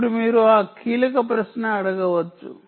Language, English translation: Telugu, now you may ask that key question: smart phones